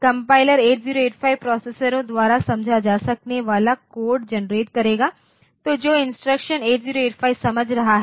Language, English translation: Hindi, So, this compiler will should generate the code which is understandable by the 8085 processors, so the instructions that is understood by 8085